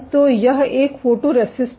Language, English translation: Hindi, So, this is a photoresist